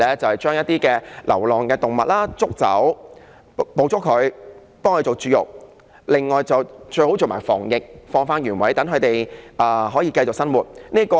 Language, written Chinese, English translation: Cantonese, 就是捕捉一些流浪動物，為牠們絕育，最好再做防疫，然後放回原處，讓牠們繼續生活。, Under this policy stray animals are trapped neutered and most desirably vaccinated and then returned to where they were captured